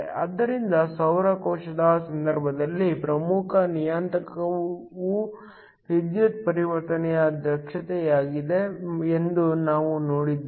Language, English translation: Kannada, So, In the case of a solar cell, we saw that the important parameter was the power conversion efficiency